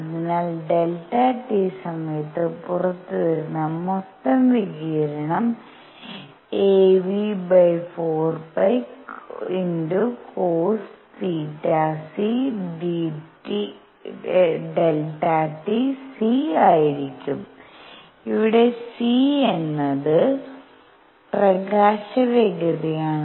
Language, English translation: Malayalam, So, the total radiation coming out in time delta t is going to be a u over 4 pi cosine theta c delta t; where c is speed of light